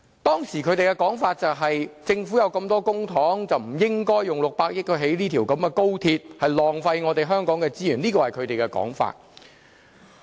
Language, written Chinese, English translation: Cantonese, 當時他們的說法是，政府有這麼多公帑，不應用600億元興建高鐵，這是浪費香港的資源，這是他們的說法。, At that time the opposition camp said while Hong Kong was no lack of money it was not advisable to spend the public coffers on the construction of the 60 billion XRL . They considered the XRL project a mere waste of Hong Kongs resources . This was their argument